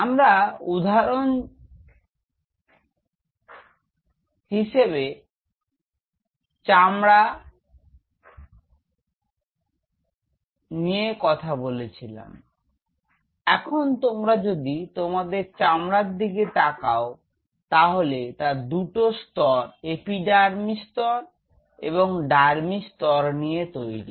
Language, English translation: Bengali, So, my example was skin now if you look at the skin itself skin consists of 2 layers epidermal layer and the dermal layer